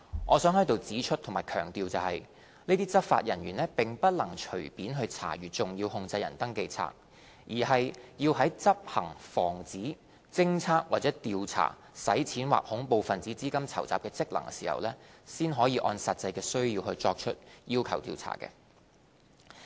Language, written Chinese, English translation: Cantonese, 我想在此指出和強調，這些執法人員並不能隨便查閱"重要控制人登記冊"，而是要在執行防止、偵測或調查洗錢或恐怖分子資金籌集的職能時，才可按實際需要作出要求查閱。, I wish to point out and emphasize here that these law enforcement officers may not inspect an SCR at will . They may only demand to inspect an SCR according to actual needs in the course of performing a function relating to the prevention detection or investigation of money laundering or terrorist financing